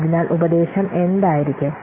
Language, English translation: Malayalam, What will be the advice